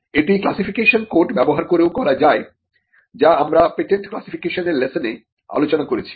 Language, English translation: Bengali, This can also be done by using the classification code; which is something which we have covered in the lesson on patent classification